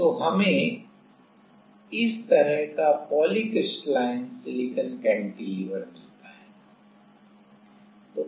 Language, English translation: Hindi, So, we have we get this kind of polycrystalline silicon cantilever